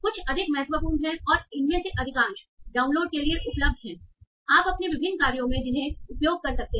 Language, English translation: Hindi, These are some of the more important ones and most of these are available for download and you can use in your different tasks